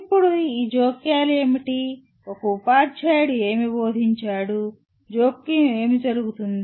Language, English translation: Telugu, Now what are these interventions, what does a teacher does the teaching, what do the interventions take place